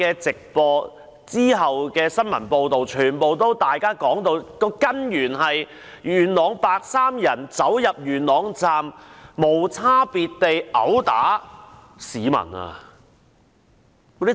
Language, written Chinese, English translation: Cantonese, 直播及其後的新聞片段全都直指事件源於元朗的白衣人走進元朗站無差別地毆打市民。, Both the live broadcast and subsequent news clips pointed to the fact that the incident was triggered by the white - clad people in Yuen Long who entered Yuen Long Station to attack civilians indiscriminately